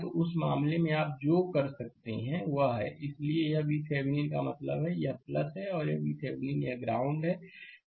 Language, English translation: Hindi, So, in that case, what you what you can do is, so, this is V Thevenin means, this is your plus and this is your V Thevenin and this is your ground minus